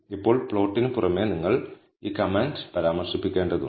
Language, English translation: Malayalam, Now in addition to the plot you need to mention this command